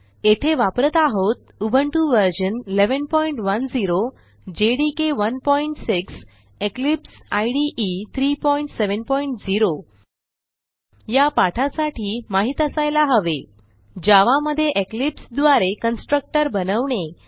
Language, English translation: Marathi, Here we are using Ubuntu version 11.10 jdk 1.6 Eclipse 3.7.0 To follow this tutorial you must know how to create a constructor in java using eclipse